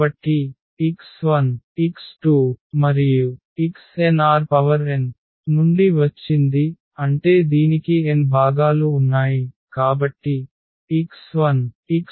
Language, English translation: Telugu, So, x 1 x 2 and x is from R n that means it has n components; so, x 1 x 2 x 3 x n